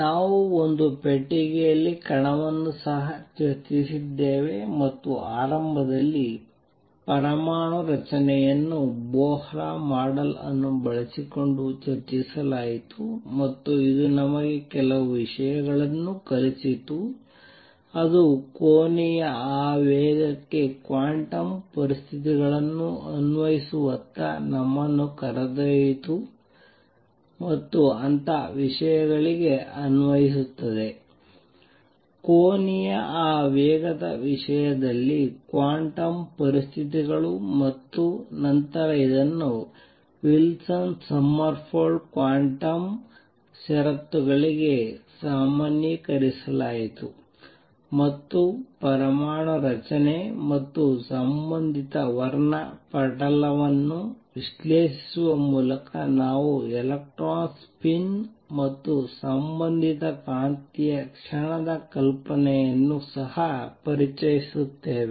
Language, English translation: Kannada, We also discussed particle in a box and initially this was done using Bohr model, initially atomic structure was discussed using Bohr model and it taught us some things it led us towards applying quantum conditions to angular momentum and things like those, it taught us to apply quantum conditions in terms of angular momentum and then this was generalized to Wilson Sommerfeld quantum conditions in terms of action being quantized